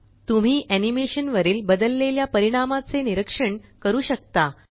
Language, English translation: Marathi, You can observe the effect of the change you have made on the animation